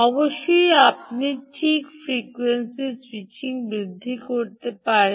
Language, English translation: Bengali, of course, you could increase the switching frequency, right, you can